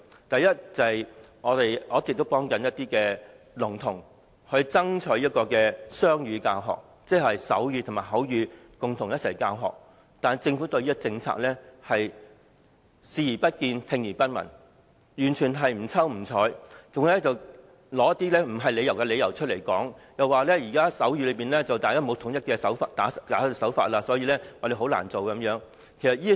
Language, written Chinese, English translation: Cantonese, 第一，我一直為聾童爭取雙語教學，即是以手語和口語共同教學，但政府對此建議視而不見，聽而不聞，完全不瞅不睬，還提出似是而非的理由，指現時手語沒有統一的手勢，所以很難實行。, First I have been striving for bilingual education―both sign language and verbal language as media of instruction―for deaf children . Yet the Government has turned a blind eye and a deaf ear to it completely brushing it aside and cited the specious reasons that there are no standard signs in the existing sign language and so the proposal will be difficult to implement